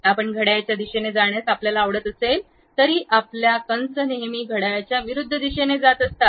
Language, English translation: Marathi, Though you would like to go in the clockwise, but your arc always be taking in the counterclockwise direction